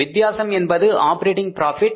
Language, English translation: Tamil, The difference is called as the operating profit